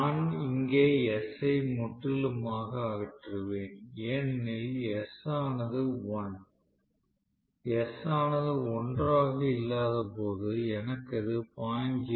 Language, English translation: Tamil, So, I eliminate s completely here because s is 1, when s was not 1 I had this s to be 0